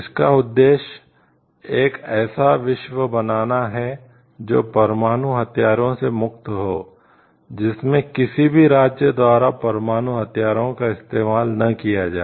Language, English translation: Hindi, It is an objective to create a world, which is free of nuclear weapons in which nuclear weapons are not used by any of the states